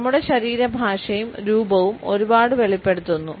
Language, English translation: Malayalam, Our body language as well as our appearance reveal a lot